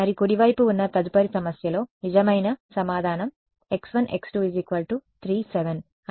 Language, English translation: Telugu, And we can see that in the next problem on the right whether true answer is x 1 x 2 is equal to 3 7 right